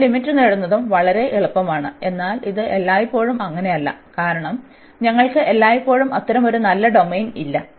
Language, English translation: Malayalam, And here the getting the limits are also much easier, but this is not always the case, because we do not have a such nice domain all the time